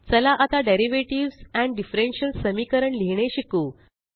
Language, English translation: Marathi, Let us now learn how to write Derivatives and differential equations